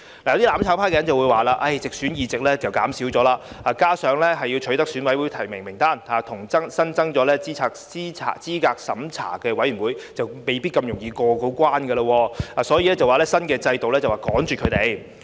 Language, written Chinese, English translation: Cantonese, 有"攬炒派"人士說，直選議席減少，加上要取得選委提名，以及增設候選人資格審查委員會，未必容易過關，所以斷言新的選舉制度是趕絕他們。, Some people from the mutual destruction camp say that the reduction of directly elected seats coupled with the need to obtain nominations from EC members and the establishment of the Candidate Eligibility Review Committee will make it not that easy to pass the threshold so they assert that the new electoral system is designed to wipe them out